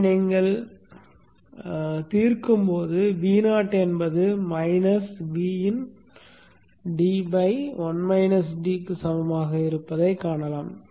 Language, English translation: Tamil, And when you solve this, you see that V0 is equal to minus VN d by 1 minus D